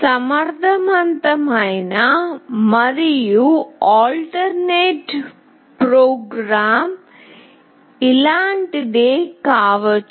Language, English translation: Telugu, An efficient and alternate program could be something like this